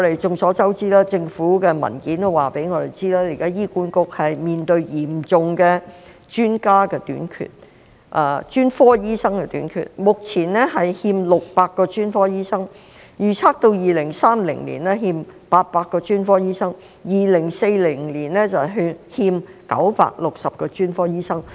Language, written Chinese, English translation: Cantonese, 眾所周知，政府的文件亦已告訴我們，現時醫院管理局面對嚴重的專家短缺和專科醫生短缺，目前欠600名專科醫生，預測到2030年欠800名專科醫生 ，2040 年欠960名專科醫生。, As we all know the Government has also stated in its papers that the Hospital Authority HA is facing a serious shortage of specialist doctors with a shortfall of 600 at present . It is estimated that the shortfall of specialist doctors will reach 800 and 960 by 2030 and 2040 respectively